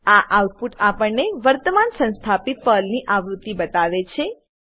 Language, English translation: Gujarati, This output shows us the current installed version of PERL